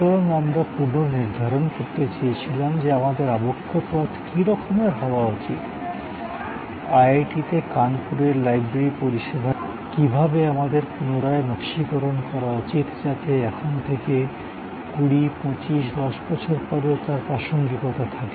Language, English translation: Bengali, So, we wanted to reassess that what will be the trajectory, how should we redesign the library service at IIT, Kanpur, going forward to say 20, 25, 10 years from now